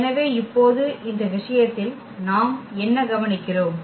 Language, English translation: Tamil, So, now what do we observe in this case